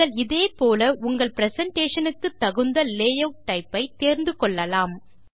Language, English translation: Tamil, You can similarly choose the layout type that is most suited to your presentation